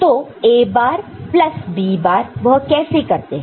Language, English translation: Hindi, So, A bar plus B bar how is it done